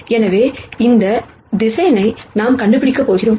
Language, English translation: Tamil, Now, let us take the same vectors and then see what happens